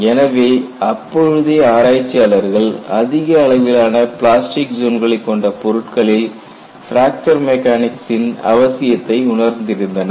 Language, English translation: Tamil, So, people felt the need for developing fracture mechanics concepts to materials, which would have a higher level of plastic zone